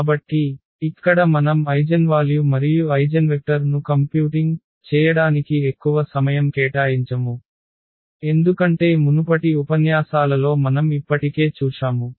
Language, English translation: Telugu, So, here we will not spend much of our time for computing eigenvalues and eigenvectors, because that we have already seen in previous lectures